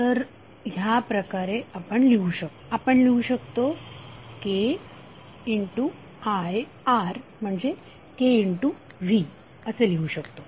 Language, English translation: Marathi, So in that way what you can write, you can write K into I R is nothing but K into V